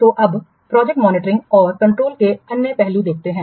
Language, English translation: Hindi, So, now let's see the another aspect of project monitoring and control